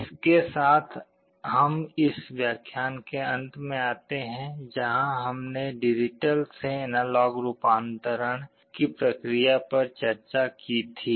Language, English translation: Hindi, With this we come to the end of this lecture where we had discussed the process of digital to analog conversion